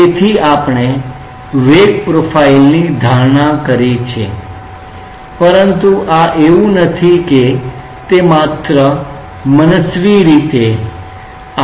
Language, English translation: Gujarati, So, we have assumed a velocity profile, but this is like it is does it is not that it is it comes just arbitrarily